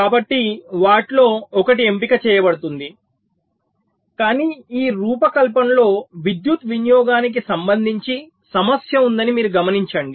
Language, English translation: Telugu, but you see, in this design there is a problem with respect to power consumption